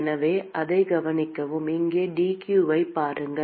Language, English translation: Tamil, So, note that look at dq here